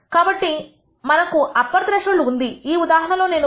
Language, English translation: Telugu, So, we have a upper threshold, in this case I have chosen 1